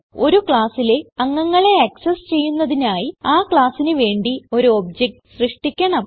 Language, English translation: Malayalam, To access the members of a class , we need to create an object for the class